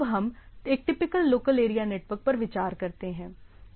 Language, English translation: Hindi, Now let us see, consider a typical local area network right